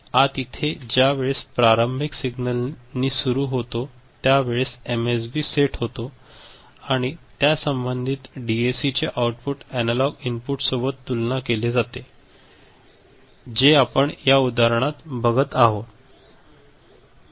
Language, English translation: Marathi, So, that is it is just you know this initial start signal comes right and the first is, MSB is set, the corresponding DAC takes the output and compares with the analog input, the way we were looking at that example right